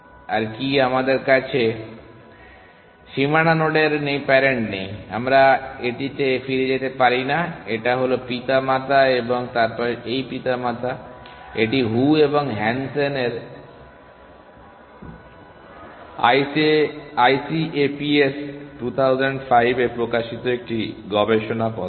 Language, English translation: Bengali, What is more we do not have the parent of the boundary node we cannot go back to it is parent and then this parent, so this was a paper published by Zhou and Hansen ICAPS 2005